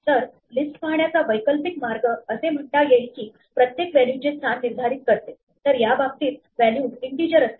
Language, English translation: Marathi, So, an alternative way of viewing a list is to say that it maps every position to the value; in this case, the values are integers